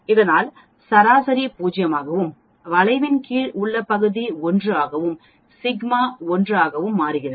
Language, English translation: Tamil, So that the mean become 0 and the area under the curve becomes 1 and sigma becomes 1